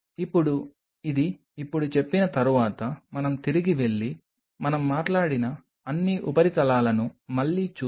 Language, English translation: Telugu, Now, having said this now let us go back and revisit what all surfaces we have talked about